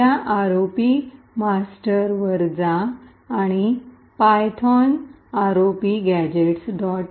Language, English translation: Marathi, It can go to this ROP gadget master and use the tool python ROP gadget